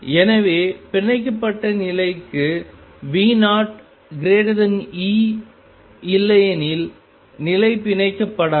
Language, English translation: Tamil, So, for bound state V 0 must be greater than E otherwise the state would not be bound